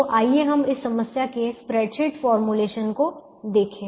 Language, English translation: Hindi, let's look at this spread sheet formulation of this problem